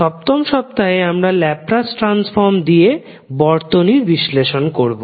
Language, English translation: Bengali, 7th week we will devote on circuit analysis using Laplace transform